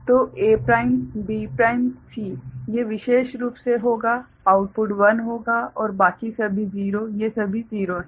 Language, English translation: Hindi, So, A prime B prime C these particular will be output will be 1 and rest all 0, these are all 0